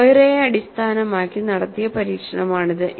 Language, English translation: Malayalam, This is the kind of experiments that you have done based on Moiré